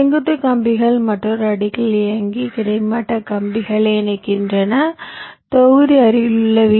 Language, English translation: Tamil, the vertical wires run in another layer and connect the horizontal wires block connects to the nearest vdd and ground